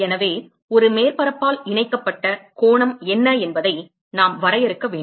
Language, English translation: Tamil, So, we need to define what is the angle subtended by a surface